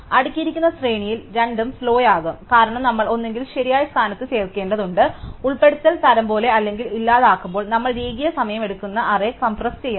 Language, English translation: Malayalam, In a sorted array both will be slow, because we have to either insert in the correct position, like in insertion sort or when we delete we have to compress the array which will take linear time